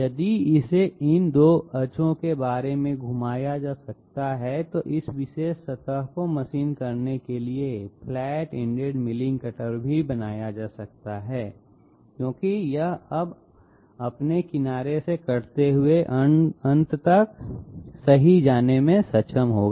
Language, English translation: Hindi, If it can be rotated about these 2 axis, then even a flat ended milling cutter can be made to machine this particular surface because it will be now able to go right up to end, cutting by its edge